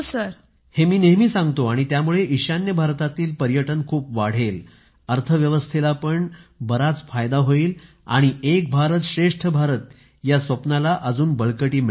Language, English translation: Marathi, I always tell this fact and because of this I hope Tourism will also increase a lot in the North East; the economy will also benefit a lot and the dream of 'Ek bharat